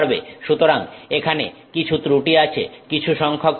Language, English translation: Bengali, So, some defects here, some number of defects